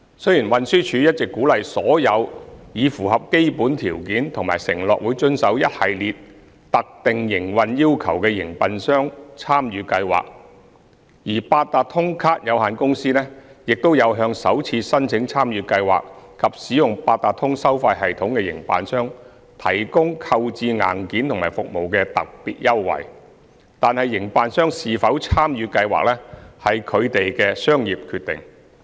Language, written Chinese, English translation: Cantonese, 雖然運輸署一直鼓勵所有已符合基本條件及承諾會遵守一系列特定營運要求的營辦商參與計劃，而八達通卡有限公司亦有向首次申請參與計劃及使用八達通收費系統的營辦商提供購置硬件和服務的特別優惠，但營辦商是否參與計劃，屬其商業決定。, TD has been encouraging those operators which have fulfilled the basic requirements and undertaken to comply with the prescribed operational requirements to join the Scheme . The Octopus Cards Limited has also been offering special concessions to operators which apply for joining the Scheme for the first time and use the Octopus payment system to procure the relevant devices and services . These notwithstanding it would be individual operators business decision to join the Scheme